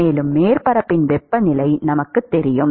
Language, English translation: Tamil, And we know the temperature of the surface